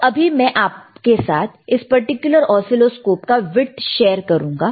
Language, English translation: Hindi, And now let me show you the width of this particular oscilloscope,